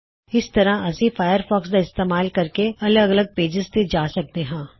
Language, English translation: Punjabi, This is how we can visit websites using Firefox and then navigate to various pages from there